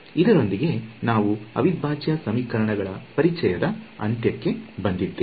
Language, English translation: Kannada, So, with this we can bring this particular introduction to integral equations to end